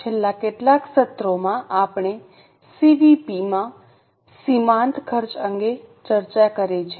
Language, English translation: Gujarati, In last few sessions, we have discussed CVP marginal costing